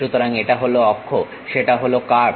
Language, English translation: Bengali, So, this is the axis, that is the curve